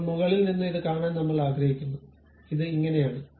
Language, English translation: Malayalam, Now, I would like to see it from top, this is the way it really looks like